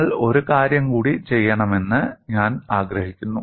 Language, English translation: Malayalam, And I also want you to do one more thing here